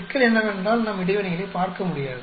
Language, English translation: Tamil, The problem is we will not be able to look at interactions